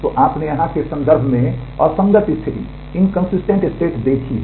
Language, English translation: Hindi, So, you have seen inconsistent state in terms of here